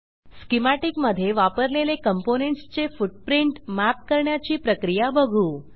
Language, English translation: Marathi, Let us now look at the process of mapping the components used in the schematic with footprints